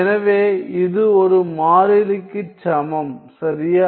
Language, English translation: Tamil, So, this is equal to a constant right